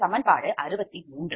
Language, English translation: Tamil, so that means equation sixty three